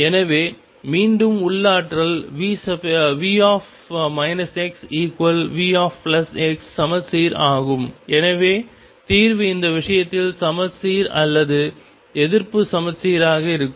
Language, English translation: Tamil, So, again the potential is symmetric V minus x equals V plus x and therefore, the solution is going to be either symmetric or anti symmetric in this case it